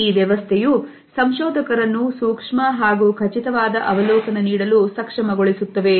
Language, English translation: Kannada, This system also enables the researchers to keep meticulous observations